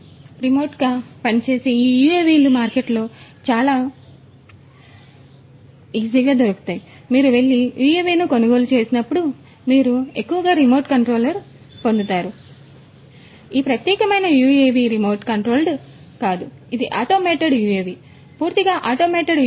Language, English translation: Telugu, And, these remotely operated UAVs are quite common in the marketplace; whenever you go and buy a UAV, you will mostly get the remote control ones So, this particular UAV is not a remote controlled one it is an automated UAV, a fully automated UAV